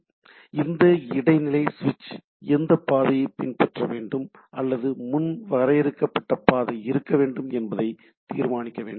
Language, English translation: Tamil, So, this intermediate switch need to decide that which path there should be followed or there can be a predefined path